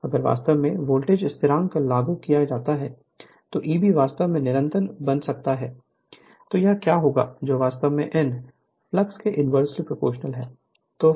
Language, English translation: Hindi, So, if you applied voltage constant then E b, if you can make constant then this then what will happen that n actually, inversely proportional to the your flux right